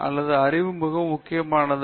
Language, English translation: Tamil, So, knowledge is very important